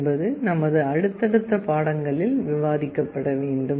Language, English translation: Tamil, These we shall be discussing in our subsequent lectures